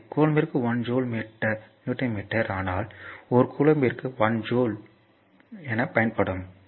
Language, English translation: Tamil, So, one Newton meter per coulomb, but 1 joule per coulomb there will be used